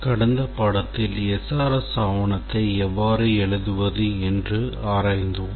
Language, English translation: Tamil, In the last lecture, we were to write to write SRS document